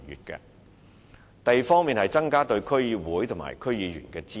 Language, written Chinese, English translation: Cantonese, 第二，是增加對區議會及區議員的支援。, Second enhancing the support for DCs and DC members